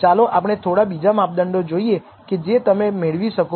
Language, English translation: Gujarati, Let us look at some couple of other measures which you can derive from this